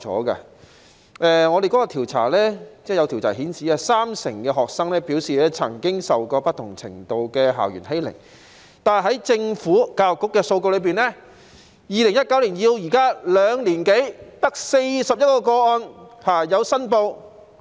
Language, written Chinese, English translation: Cantonese, 有調查顯示，三成學生表示曾經受過不同程度的校園欺凌，但在政府教育局的數據中，從2019年至今兩年多卻只有41宗申報個案。, According to a survey 30 % of the students indicated that they have been bullied in school to varying degrees . Yet the statistics of EDB of the Government show that only 41 cases were reported in the two years or so since 2019